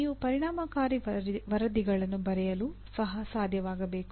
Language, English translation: Kannada, And on top of that you should be able to write effective reports